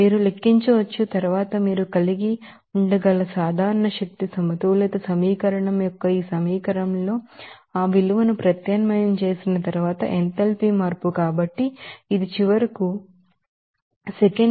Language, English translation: Telugu, You can calculate, then enthalpy change after substitution of that value in this equation of general energy balance equation you can have, so, it is finally coming as minus 80